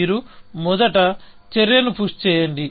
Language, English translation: Telugu, You first, push the action